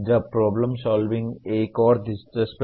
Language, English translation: Hindi, Now problem solving is another interesting one